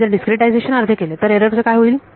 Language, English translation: Marathi, If I half the discretization, what happens to the error